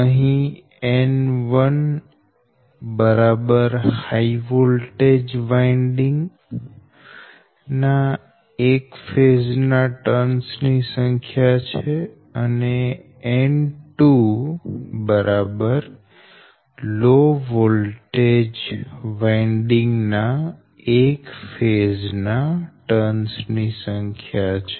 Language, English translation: Gujarati, so n one is the number of turns on one phase of high voltage winding and n two is equal to number of turns on one phase of low voltage winding right